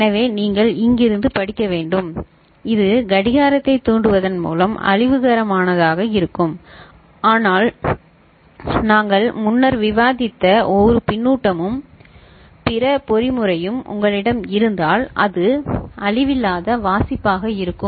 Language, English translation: Tamil, So, you have to read it from here, by triggering the clock which as such will be destructive, but if you have a feedback and other mechanism that we shared, discussed before, then it will be non destructive reading